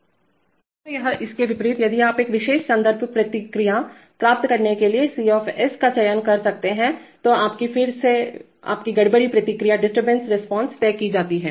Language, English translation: Hindi, So, or vice versa if you are choosing C to get a particular reference response then your, then your disturbance response is decided